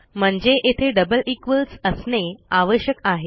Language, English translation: Marathi, We need double equals in there